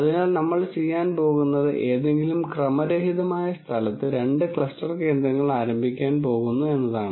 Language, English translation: Malayalam, So, what we are going to do is we are going to start o two cluster centres in some random location